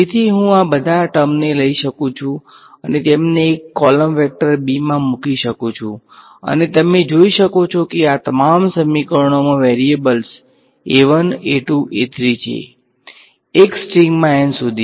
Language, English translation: Gujarati, So, I can take all of these guys and put them into a column vector b right and you can see that all of these equations have the variables a 1, a 2, a 3 all the way up to a n in one string right